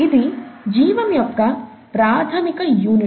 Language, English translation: Telugu, This is some fundamental unit of life itself